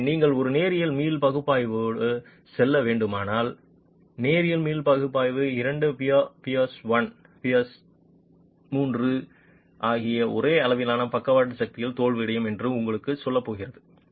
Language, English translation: Tamil, So if you were to go with a linear elastic analysis, the linear elastic analysis is going to tell you that two piers, peer one and peer three, will fail at the same level of lateral force